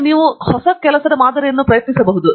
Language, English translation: Kannada, Now, you can try some new sample